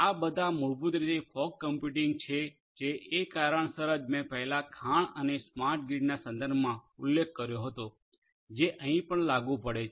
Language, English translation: Gujarati, So, all of these basically fog computing for the reasons that I mentioned earlier in the context of mine and smart grid these are also applicable here